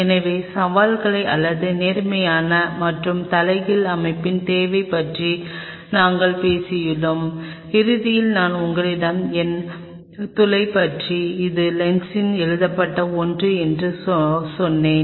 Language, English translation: Tamil, So, we have talked about the challenges of or the need for an upright as well as the inverted system, and there is something in the end I told you about the numerical aperture this is something which will be written on the lens